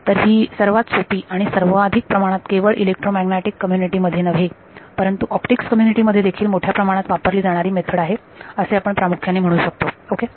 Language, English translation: Marathi, So, it is the simplest and also the most what can we say, most widely used not just in the electromagnetics community, but even in the optics community this method is used extensively ok